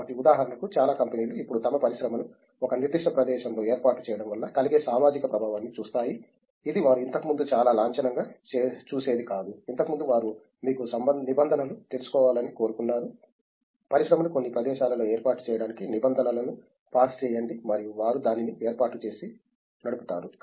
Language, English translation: Telugu, So, for example, lot of companies now look at the social impact of setting up their industry in a particular location which was not something that they very formally looked at earlier on, previously they just wanted to you know get the regulations, get pass the regulations to set up the industry in some location and they would just set it up and run